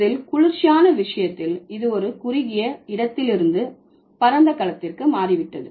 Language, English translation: Tamil, In case of cool it has shifted from a narrower to broader, broadened domain